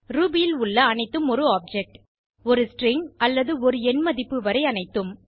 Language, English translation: Tamil, Everything in Ruby is an object from a value to a string or number